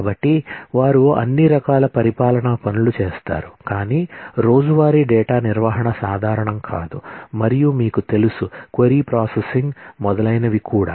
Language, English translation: Telugu, So, they do all kinds of administration tasks, but not the usual day to day data maintenance and you know, query processing and so on